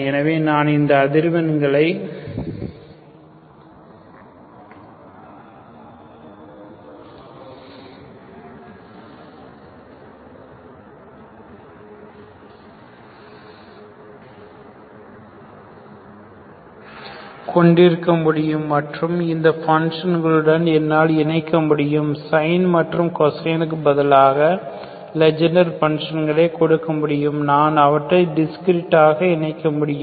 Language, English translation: Tamil, So I can have these frequencies and I can combine with these functions, instead of sines and cosine I can have these Legendre functions, I can combine them discreetly